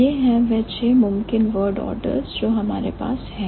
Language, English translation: Hindi, These are the six possible word orders that we have